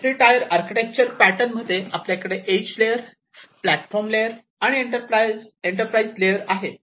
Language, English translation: Marathi, In this three tier architecture pattern, we have three different layers we have the edge layer, the platform layer and the enterprise layer